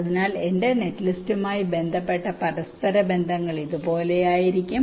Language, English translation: Malayalam, so the interconnections corresponding to my net list will be like this